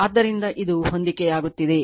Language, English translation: Kannada, So, it is matching right